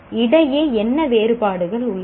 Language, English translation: Tamil, What differences exist between